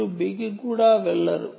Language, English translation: Telugu, you dont even go to b